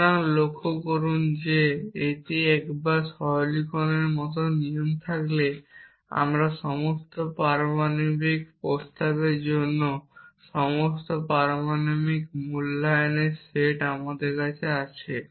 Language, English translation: Bengali, So, notice that once you have rules like simplification we do not feel complete for somebody to us the set of all atomic valuations for all atomic proposition